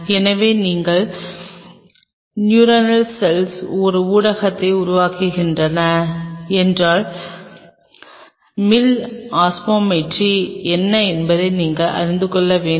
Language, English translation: Tamil, So, if you are developing a medium for the neuronal cells, then you should know that what is the mill osmolarity